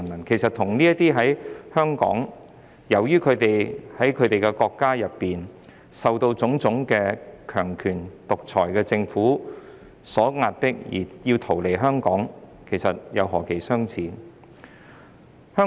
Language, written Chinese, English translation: Cantonese, 其實，那些香港人與這些由於在其本身國家受到種種強權及獨裁政府的壓力，而要逃到香港的難民，兩者之間何其相似。, In fact those Hong Kong people are similar to these refugees who have fled to Hong Kong because of the oppression from various authoritarian and dictatorial governments in their countries of origin